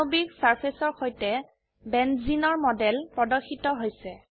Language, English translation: Assamese, The model of Benzene is displayed with a molecular surface